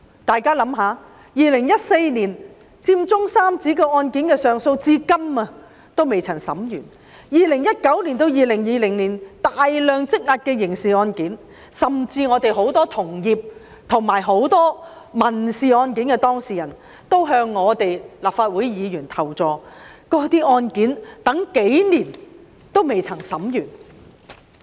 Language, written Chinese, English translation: Cantonese, 大家試想想 ，2014 年佔中三子上訴案件的審訊至今仍未完結 ，2019 年至2020年積壓的大量刑事案件，甚至我有很多同業及民事案件的當事人也向立法會議員求助，他們說案件審訊期等了數年仍未完結。, Just think about the case concerning the Occupy Central Trio in 2014 the case is still ongoing . Many criminal cases piled up in 2019 and 2020 . Many of my fellow law practitioners and the civil claimants who have sought help from Legislative Council Members said that their cases had been dragged on for years and were still not yet closed